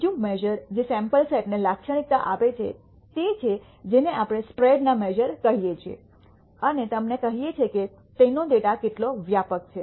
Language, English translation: Gujarati, The another measure which characterizes a sample set is what we call the measures of spread and tells you how widely their data is ranging